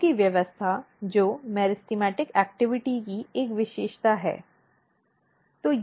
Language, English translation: Hindi, The arrangement of the organs which is a feature of ahh meristematic activity